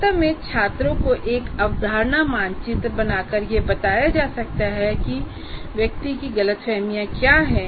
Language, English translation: Hindi, In fact, making students to draw a concept map, one can find out what are the misunderstandings of the individual